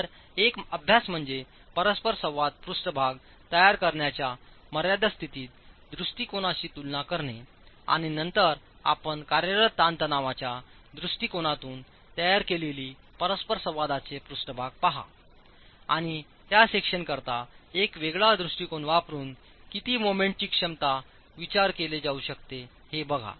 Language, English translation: Marathi, So, one exercise would be to compare this with the limit state approach to create an interaction surface and then look at the interaction surface that you have created using a working stress approach and how much more of moment capacity can be considered for the same section but using a different approach